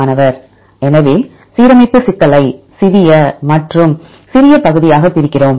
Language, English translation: Tamil, So, we divide the alignment problem into a smaller and smaller part